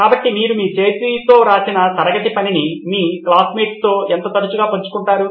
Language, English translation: Telugu, So how frequently do you share your handwritten class work with your classmates